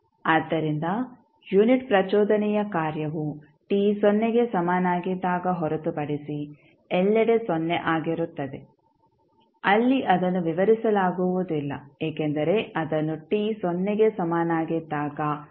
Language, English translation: Kannada, So, unit impulse function is 0 everywhere except at t is equal to 0 where it is undefined because it is it cannot be defined at time t equal to 0